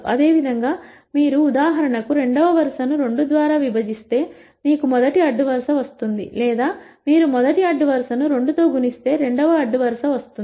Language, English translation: Telugu, Similarly if you divide for example, the second row by 2 you will get the first row or if you multiply the first row by 2 you get the second row